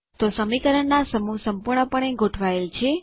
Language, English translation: Gujarati, So there is a perfectly aligned set of equations